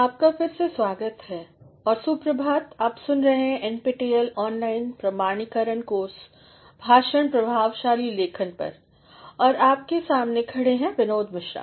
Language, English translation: Hindi, Welcome back and good morning, you are listening to NPTEL online certification course lectures on Effective Writing and standing before you is Binod Mishra